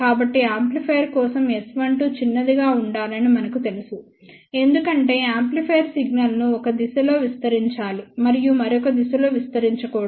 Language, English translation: Telugu, So, we know that S 12 should be small for an amplifier because amplifier should amplify the signal in one direction and not amplify in the other direction